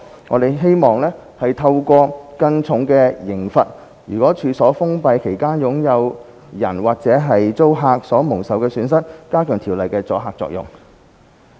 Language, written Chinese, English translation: Cantonese, 我們希望透過更重的刑罰，及在處所封閉期間處所擁有人及/或租客所蒙受的損失，加強《條例》的阻嚇作用。, We hope to enhance deterrence of the Bill through heavier penalties and the losses incurred by the owner andor tenant of the premises during the closure period of the premises